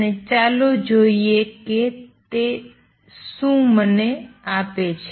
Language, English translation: Gujarati, And let us see what is that give me